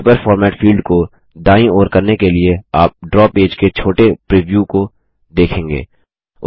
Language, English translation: Hindi, To the right of the Paper format fields, you will see a tiny preview of the Draw page